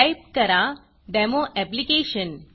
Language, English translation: Marathi, And type Demo Application